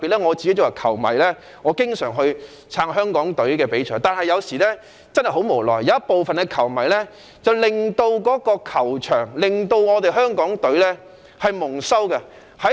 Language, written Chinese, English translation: Cantonese, 我是球迷，十分支持香港隊參賽，但有時真的很無奈，有部分球迷在球場上令香港隊蒙羞。, As a football fan I very much support the Hong Kong team in football matches . However I feel really helpless in a football stadium when certain fans disgrace the Hong Kong team